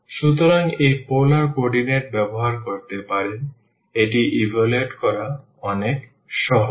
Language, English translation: Bengali, So, can using this polar coordinate, this is much simpler to evaluate this